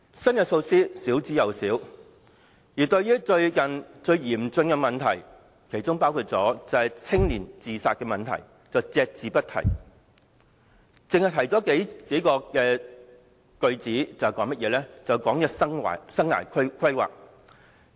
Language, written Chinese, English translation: Cantonese, 新措施十分少，而對於最近教育界面對最嚴峻的問題，包括青年自殺問題，則隻字不提，只以數句提到生涯規劃。, New policies are few and far between and the most intractable problems confronting the education sector recently including youth suicides receives no mention at all; only life planning is mentioned in a few sentences